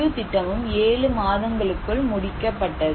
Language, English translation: Tamil, The whole project was completed within 7 months